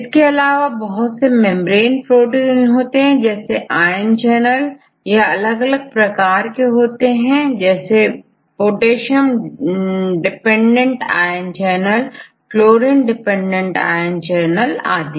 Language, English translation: Hindi, These are also membrane proteins, for example, ion channels right there are different types of ion channels right potassium dependent ion channel, chlorine dependent ion channels and so on